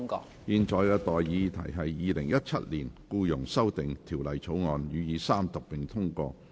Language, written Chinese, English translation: Cantonese, 我現在向各位提出的待議議題是：《2017年僱傭條例草案》予以三讀並通過。, I now propose the question to you and that is That the Employment Amendment Bill 2017 be read the Third time and do pass